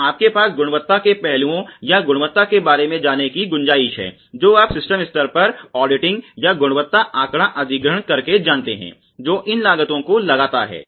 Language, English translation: Hindi, So, you have a scope for quality aspects or quality you know auditing or quality data acquisition at the system level itself, which imposes these costs ok